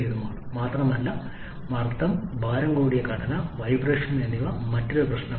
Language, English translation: Malayalam, They are pollution prone because of the incomplete combustion and also because of the higher pressure range, heavier structure, vibration is another problem